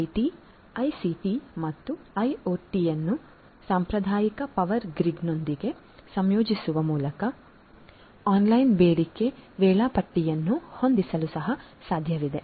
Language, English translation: Kannada, It is also possible through the integration of IT, ICT and IoT with the traditional power grid to have online demand scheduling